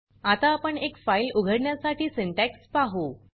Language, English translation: Marathi, Now we will see the syntax to open a file